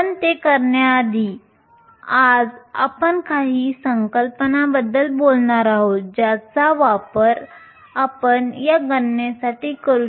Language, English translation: Marathi, But before we do that today we are going to talk about some concepts that we will use for these calculations